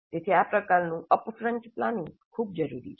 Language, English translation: Gujarati, So this kind of upfront planning is very essential